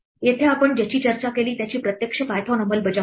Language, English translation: Marathi, Here we have an actual python implementation of what we discussed